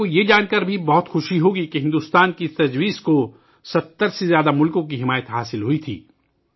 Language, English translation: Urdu, You will also be very happy to know that this proposal of India had been accepted by more than 70 countries